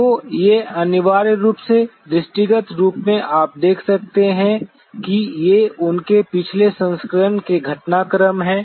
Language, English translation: Hindi, So, these are essentially visibly you could see that these are the developments of their previous versions